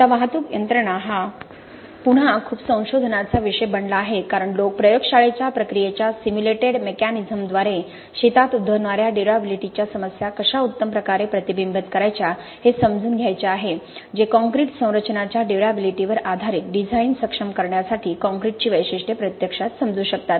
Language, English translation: Marathi, Now transport mechanisms are again a topic of much research because people want to understand how best to reflect durability problems that happen in the field with simulated mechanisms of lab procedures that can actually understand the characteristics of the concrete for enabling durability based design of concrete structures